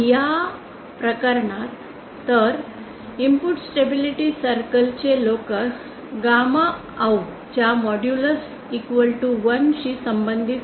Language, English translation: Marathi, So the locus of the input stability circle correspond to modulus of gamma out equal to 1